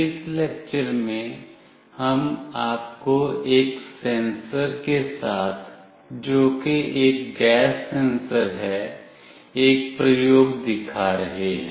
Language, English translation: Hindi, In this lecture, we will be showing you an experiment with a sensor which is a gas sensor